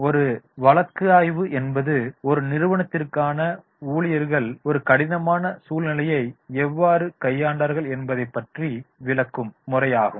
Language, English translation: Tamil, A case study is a description about how employees or an organization dealt with a difficult situation